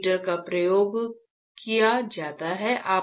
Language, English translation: Hindi, Heater is used